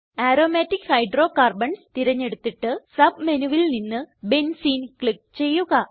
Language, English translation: Malayalam, Lets select Aromatic Hydrocarbons and click on Benzene from the Submenu